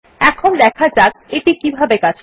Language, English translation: Bengali, Now let us see how it is implemented